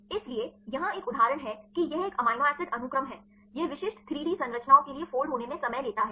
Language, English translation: Hindi, So, next one example here this is a amino acid sequence may be it takes time to folder specific 3D structures